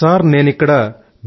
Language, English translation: Telugu, Sir, I am a Professor at B